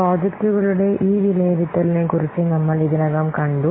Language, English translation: Malayalam, We have already seen about this evaluation of projects